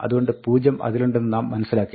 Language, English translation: Malayalam, So, we see now that, 0 is there